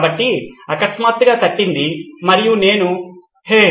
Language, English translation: Telugu, So that suddenly popped up and I said, Hey